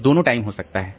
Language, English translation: Hindi, So, both the times may be there